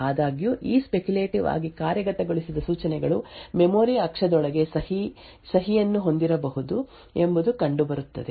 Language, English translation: Kannada, However, what is seen is that these speculatively executed instructions may have a signature inside the memory axis